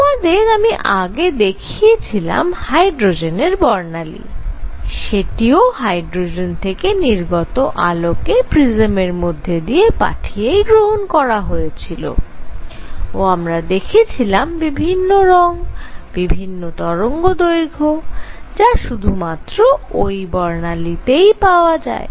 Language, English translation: Bengali, So, what I showed you earlier, the hydrogen spectrum when the light coming out of hydrogen was passed through this prism one saw these different colors, different wavelengths that is how you know only these wavelengths come in this is spectrum